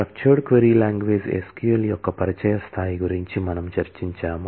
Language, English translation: Telugu, We have discussed about the introductory level of SQL the structured query language